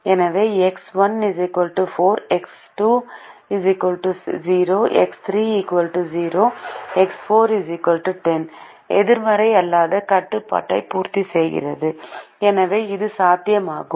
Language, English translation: Tamil, so x one equal to four, x two equal to zero, x three equal to zero, x four equal to ten satisfies the non negativity restriction and therefore it is feasible